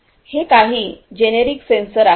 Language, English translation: Marathi, So, some these are the generic ones, generic sensors